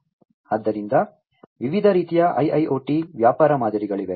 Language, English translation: Kannada, So, there are different types of IIoT business models